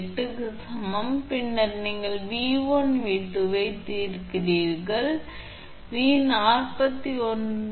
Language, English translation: Tamil, 8 then you solve for V1 and V2